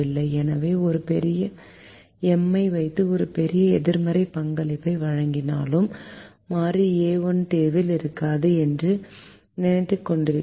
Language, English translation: Tamil, so we are, in spite of us putting a big m and putting a large negative contribution, thinking that the variable a one will not have be in the solution